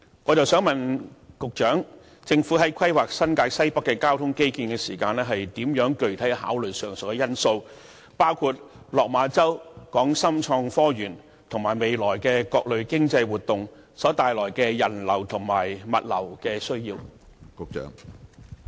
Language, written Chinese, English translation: Cantonese, 我想問局長，政府在規劃新界西北的交通基建時，如何具體考慮上述因素，包括落馬洲、港深創新及科技園及未來的各類經濟活動所衍生的人流和物流需要？, May I ask the Secretary in planning for transport infrastructure in NWNT how the Government will give specific consideration to the said factors including the demands from passenger and cargo flows arising from Lok Ma Chau the Hong Kong - Shenzhen Tech Park and various economic activities in the future?